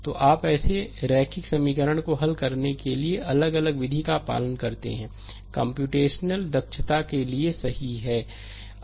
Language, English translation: Hindi, So, you follow different method to solve such linear equations, right for computational efficiency